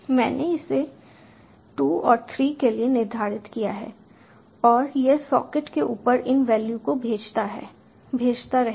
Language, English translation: Hindi, i have fixed it to two and three and this will keep on sending these values over the socket